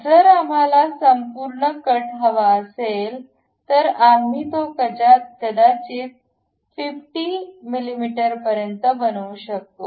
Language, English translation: Marathi, If we want complete cut, we can really make it all the way to maybe 50 mm